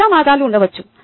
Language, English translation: Telugu, they could be many ways